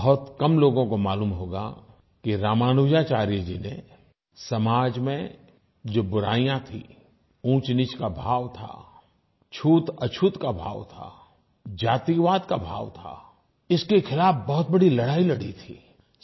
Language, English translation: Hindi, Not many would know that Ramanujacharya relentlessly struggled against rampant social evils such as the class divide, the chasm between touchable and untouchables and the caste system